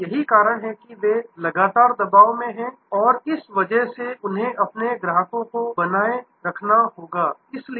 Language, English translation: Hindi, And; that is why they are continuously under pressure and because of that they need to retain their customers